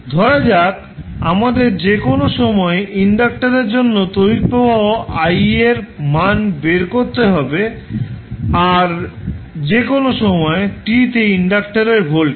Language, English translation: Bengali, Suppose we need to find the value of current I at any time t for the inductor, voltage across inductor at any time t